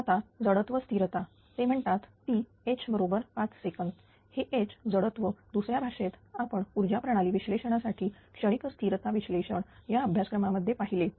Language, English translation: Marathi, Now, inertia constants they say it is H is equal to 5 second this 18 hertz in terms of second we have seen in the transient stability analysis for power system analysis course, right